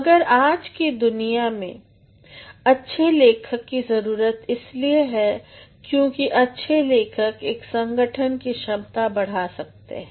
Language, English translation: Hindi, But in today's world, good writers are needed because good writers can enhance the prospect of an organization